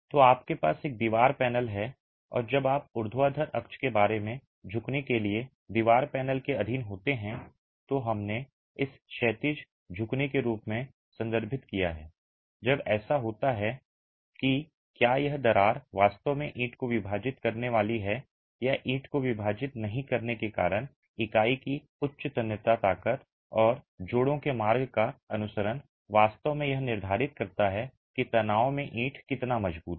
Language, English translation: Hindi, So, you have a wall panel and when you subject the wall panel to bending about a vertical axis, we refer to that as horizontal bending, when that happens whether this crack is actually going to split the brick or not split the brick because of a high tensile strength of the unit and follow the path of the joints is actually determined by how strong the brick is in tension